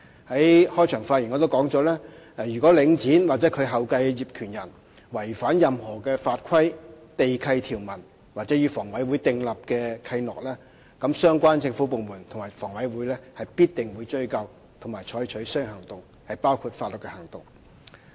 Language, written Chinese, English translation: Cantonese, 我在開場發言時亦指出，如果領展或其後繼的業權人違反任何法規、地契條文或與房委會訂立的契諾，相關政府部門及房委會必定會追究及採取相應行動，包括法律行動。, I also pointed out in my opening speech that should Link REIT or its successor in title breach any statutory provisions land lease conditions or covenants signed with HA the relevant government departments and HA will definitely pursue the matter and take action including legal action accordingly